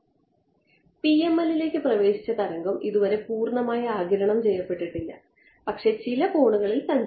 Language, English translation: Malayalam, The wave, that has entered the PML and not yet fully absorbed, but travelling at some angle right